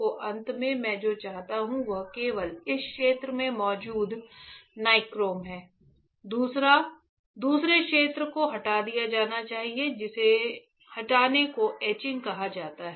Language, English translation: Hindi, So, finally, what I want is the nichrome present only in this area, the other area it should be removed that removal is called etching ok